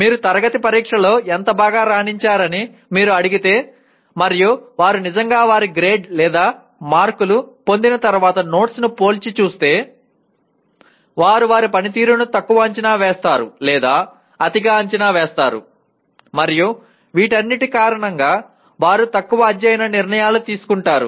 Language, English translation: Telugu, If you ask them how well you have performed in the class test and compare notes after they have actually obtained their grade or marks it is found that they either underestimate or overestimate their performance and because of all these they make poor study decisions